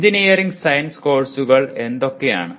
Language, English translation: Malayalam, What are the engineering science courses